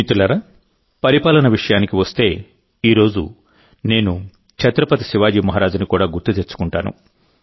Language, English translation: Telugu, Friends, when it comes to management, I will also remember Chhatrapati Shivaji Maharaj today